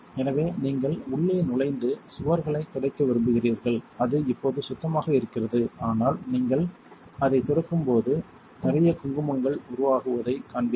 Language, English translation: Tamil, So, you want to reach in and just wipe the walls, it is clean now but when you wipe it you will see a lot of gunk building up